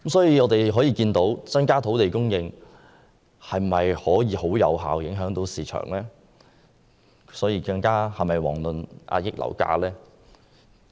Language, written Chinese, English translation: Cantonese, 由此可見，增加土地供應未必能有效影響市場，更遑論遏抑樓價。, From this we can see that an increase in land supply may not always have effective impact on the market let alone suppress property prices